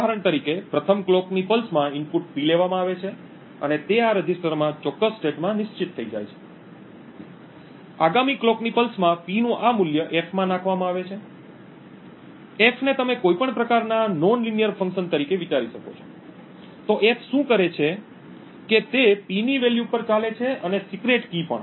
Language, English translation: Gujarati, For example, in the first clock pulse the input P is taken and it gets latched into this register, in the next clock pulse this value of P is fed into F, F you could think of as any kind of nonlinear function, so what F does is that it operates on the value of P and also the secret key K